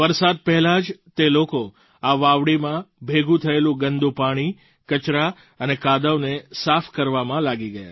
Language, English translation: Gujarati, Much before the rains, people immersed themselves in the task of cleaning out the accumulated filthy water, garbage and morass